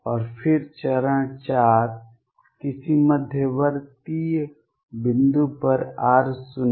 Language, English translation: Hindi, And then step 4 at some intermediate point r naught